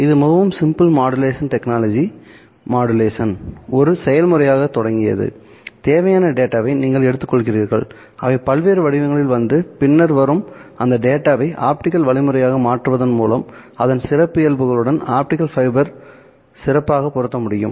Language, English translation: Tamil, It started off with a very simple modulation technology, modulation being a process in which you take the data that needs to be transmitted, which would come in various forms forms and then convert the data into optical means so that it can be better matched to the characteristics of the optical fiber